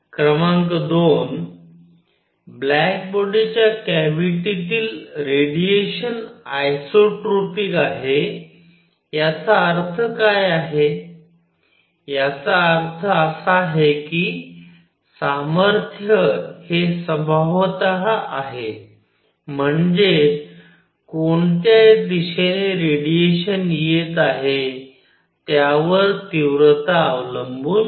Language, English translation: Marathi, Number 2; the radiation inside a black body cavity is isotropic what; that means, is nature including strength; that means, intensity does not depend on which direction radiation is coming from